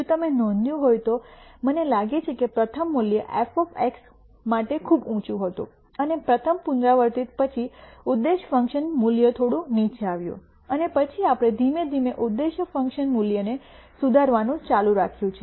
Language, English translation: Gujarati, If you noticed, I think the first value was very high for f of X and after the first iteration the objective function value came down quite a bit, and then we have gradually keep improving the objec tive function value